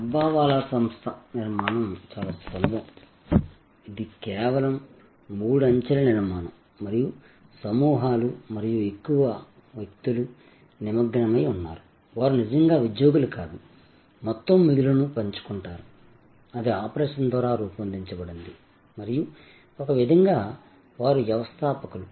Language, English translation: Telugu, The structure of the Dabbawala organization is very simple, it is just simple three tier structure and there are groups and mostly the people, who are engage, they are not really employees, they share the overall surplus; that is generated by the operation and so in a way they are entrepreneurs